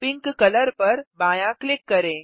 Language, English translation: Hindi, Left click the pink color